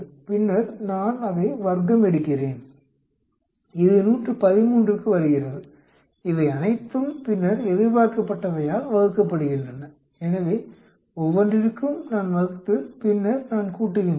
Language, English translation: Tamil, Then I square it up, that comes to 113 all these then divide by expected, so for each one I divide and then I add up, I get 16